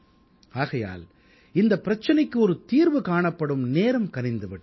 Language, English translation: Tamil, Now the time has come to find a solution to this problem